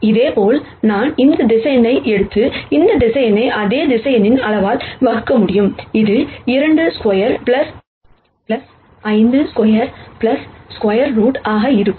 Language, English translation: Tamil, Similarly, I can take this vector and divide this vector by the magnitude of the same vector, which is going to be root of 2 squared plus 5 squared plus 2 squared